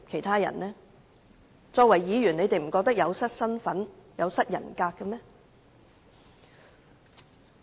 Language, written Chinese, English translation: Cantonese, 他們身為議員不覺得這樣說有失身份、有失人格嗎？, As Members dont they think it is unbecoming and degrading to speak like that?